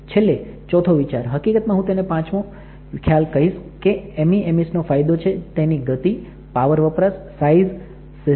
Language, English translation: Gujarati, Finally the fourth concept I will say is that the or fifth concept is that the benefits of MEMS are speed, consumption, size, system